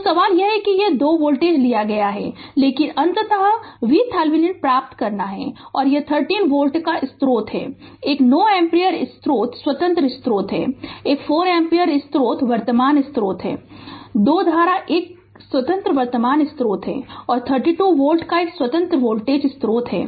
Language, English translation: Hindi, So, question is that that these 2 voltage have been taken, but you have to ultimately obtain V Thevenin and this is a 30 volt source one 9 ampere source independent source is there, one 4 ampere independent current source is there 2 cu[rrent] independent current source is there and one independent voltage source of 32 volt is there